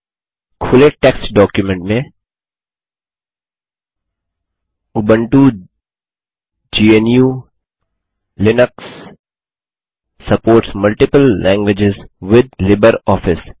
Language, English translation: Hindi, In the opened text document, lets type, Ubuntu GNU/Linux supports multiple languages with LibreOffice